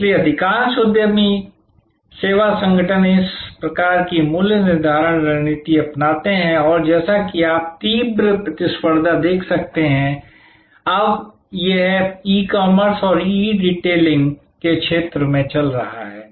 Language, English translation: Hindi, So, most entrepreneur service organizations, adopt this type of pricing strategy and as you can see the intense competition; that is going on now in the field of e commerce and e retailing